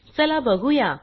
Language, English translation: Marathi, Lets find out